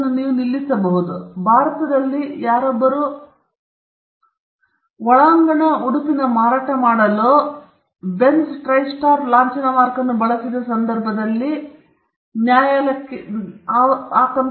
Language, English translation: Kannada, Now, there was a case where someone used the Benz mark the Benz Tristar logo for selling undergarments in India